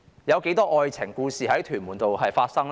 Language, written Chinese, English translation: Cantonese, 有多少愛情故事在屯門公路上發生呢？, How many love stories have taken place on the Tuen Mun Road?